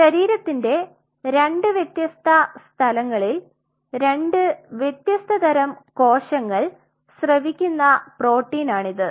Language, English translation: Malayalam, It is a protein secreted by two different kind of cells at two different places of the body